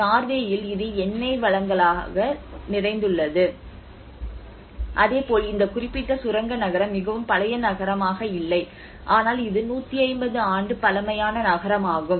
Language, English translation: Tamil, So whereas in Norway it is rich in oil resources so similarly this particular mining town has been not a very old town, but it is hardly 150year old town